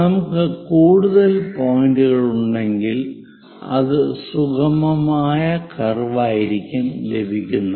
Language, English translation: Malayalam, If we have more number of points, it will be very smooth curve